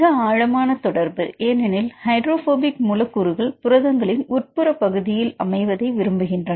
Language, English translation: Tamil, Highly correlated right because the hydrophobic residues right they prefer to be at the interior of the protein